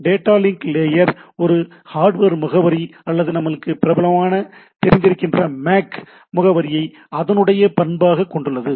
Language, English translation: Tamil, Data link layer also has a property of a having a hardware address or MAC address what we popularly known as